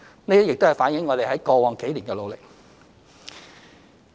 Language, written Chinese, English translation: Cantonese, 這亦反映了我們在過往幾年的努力。, This has also reflected the efforts that we have made over the past few years